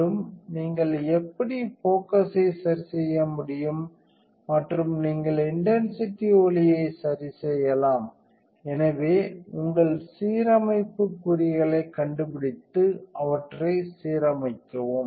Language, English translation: Tamil, And, how you can adjust the focus and you can adjust the intensity light, so you would do that to find your alignment marks and then align them